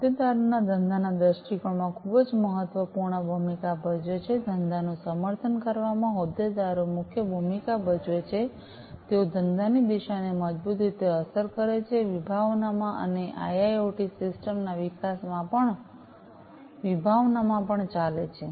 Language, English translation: Gujarati, Stakeholders play a very important role in the business viewpoint, the stakeholders play the major role in supporting the business, they strongly influence the direction of the business, and driving in the conception, and development of IIoT systems